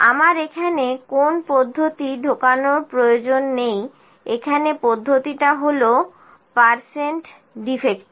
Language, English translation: Bengali, I not need to put my process, here process is percent defective